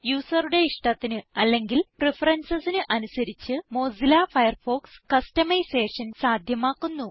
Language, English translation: Malayalam, Mozilla Firefox offers customisation to suit the tastes or preferences of the user